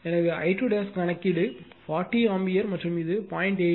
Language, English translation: Tamil, So, I 2 dash is compute 40 ampere and it is 0